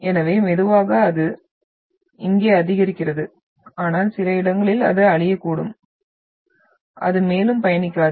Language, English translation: Tamil, So the slowly it increases here but at some places it is like dying out and then you are having, it does not travel further